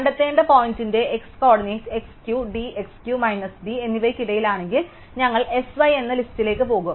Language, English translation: Malayalam, If the x coordinate of the point that be find is between x Q plus d and x Q minus d, then we will added to a list S y